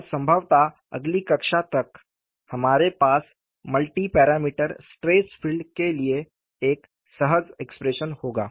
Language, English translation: Hindi, And possibly by next class, we would have an elegant expression for multi parameter stresses filed